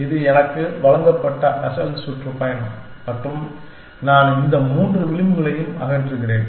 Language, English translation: Tamil, This is the original tour given to me and I am removing this three edges